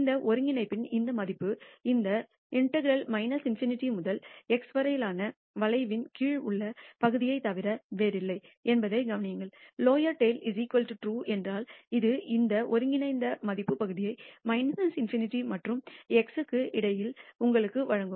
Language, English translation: Tamil, This value of this integral, notice this integral is nothing but the area under the curve between minus in nity to x, if lower tail is equal to TRUE it will give you this integral value area between minus in nity and x